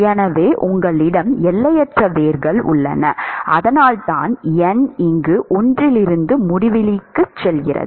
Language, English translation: Tamil, So, you have infinite roots and in fact, that is why n goes from one to infinity here